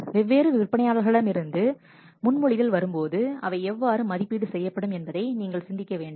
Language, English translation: Tamil, You have to think of when the proposals will come from different vendors how to evaluate